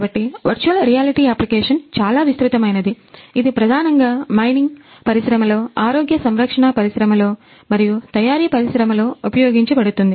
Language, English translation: Telugu, So, virtual reality application is very wide it is mainly used in the industry mining industry, healthcare industry and manufacturing industry